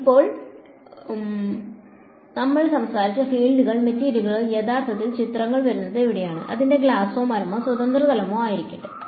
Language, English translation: Malayalam, Now fields we have spoken about where does the material actually come into picture, whether its glass or wood or free space